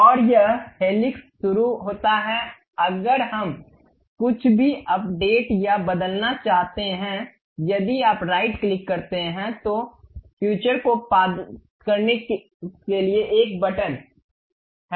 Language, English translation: Hindi, And this helix begins if we would like to update or change anything if you give a right click there is a button to edit future